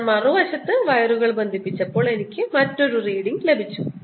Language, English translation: Malayalam, on the other hand, when i connected the wires on the other side, i got a different reading